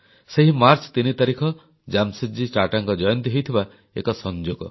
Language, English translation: Odia, Coincidentally, the 3rd of March is also the birth anniversary of Jamsetji Tata